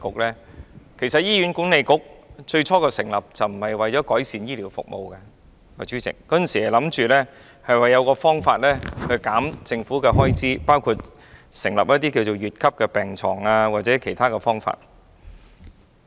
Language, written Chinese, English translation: Cantonese, 其實，最初成立醫院管理局並非為了改善醫療服務，而是想設法減少政府的開支，包括開設乙級病床或採用其他方法。, When the Hospital Authority was first established it was not meant to improve health care services . Instead it was tasked to cut costs for the Government by for example providing B - Class beds